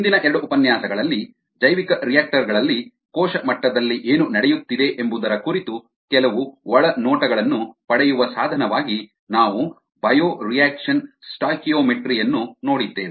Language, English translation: Kannada, in the previous two lectures we had looked at bioreactions documentary as one of the means of getting some insights into what is happening at the cell level in the bioreactors